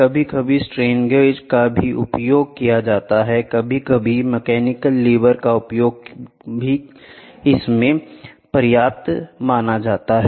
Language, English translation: Hindi, Sometime strain gauges are used; sometimes even mechanical livers are used for measurement